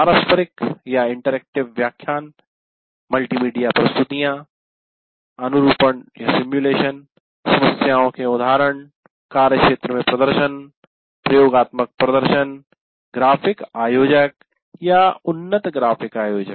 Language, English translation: Hindi, Interactive lecture, multimedia presentations, simulations, example problems, field demonstration, experimental demonstrations, the graphic organizers or advanced graphic organizers